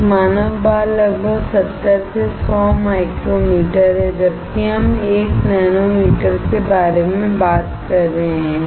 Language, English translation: Hindi, A human hair is about 70 to 100 micrometers, while we are talking about about 1 nanometer